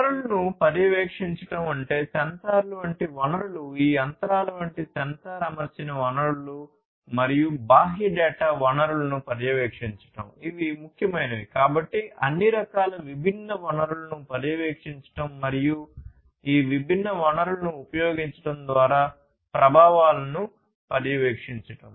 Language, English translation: Telugu, Monitoring the resources; resources such as sensors, sensor equipped resources such as this machinery and monitoring the external data sources, these are important; so monitoring of all kinds of different resources and also the monitoring of the effects through the use of these different resources